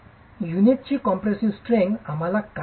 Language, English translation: Marathi, How do you test the compressive strength of the unit